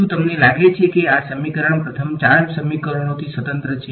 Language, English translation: Gujarati, Do you think that this equation is independent of the first four equations